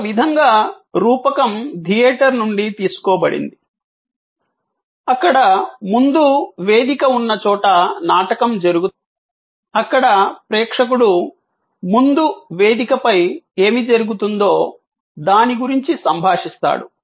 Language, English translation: Telugu, In a way, the metaphor is taking from theater, where there is a front stage, where the play is taking place, where the viewer is interacting with what is happening on the front stage